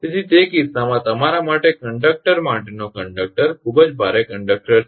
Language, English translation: Gujarati, So in that case, the conductor load for you conductor is very heavy conductor right